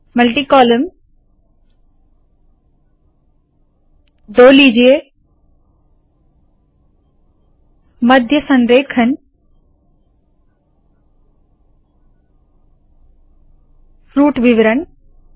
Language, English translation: Hindi, Multi column take 2 center aligned Fruit Details